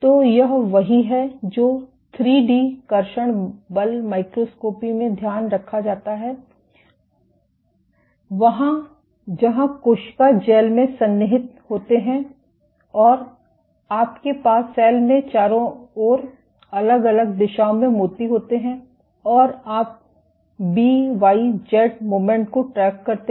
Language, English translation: Hindi, So, this is what is taken into account in 3 D traction force microscopy where, cells are embedded in gels and you have beads in around the cell in all different directions and you track the X, Y, Z movement of the beads